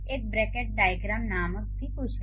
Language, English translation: Hindi, There is also something called bracketed diagram